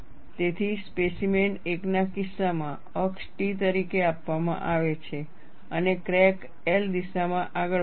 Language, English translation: Gujarati, So, in the case of specimen 1, the axis is given as T and the crack will advance in the direction L